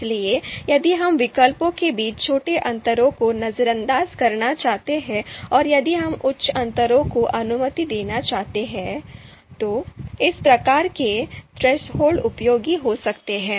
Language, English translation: Hindi, So if we would like to ignore small differences between alternatives and you know if we would like to allow you know higher differences, then these kinds of thresholds can be useful